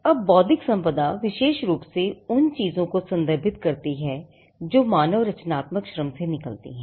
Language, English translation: Hindi, Now, intellectual property specifically refers to things that emanate from human creative labour